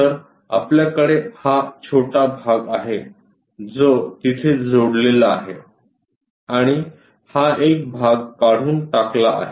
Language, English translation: Marathi, So, we have this small portion which is attached there and this one material has been removed